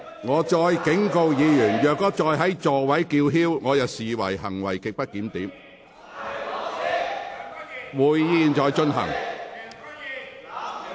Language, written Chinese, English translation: Cantonese, 我再次警告，若議員仍在座位上叫喊，我會視之為行為極不檢點。, I now serve you a second warning . If Members still yell in their seats I will consider that their conduct is grossly disorderly